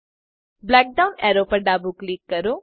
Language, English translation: Gujarati, Left click the black down arrow